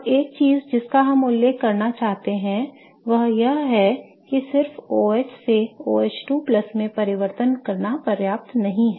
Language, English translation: Hindi, Now, one of the things that I want to mention is that just converting OH to OH2 plus is not enough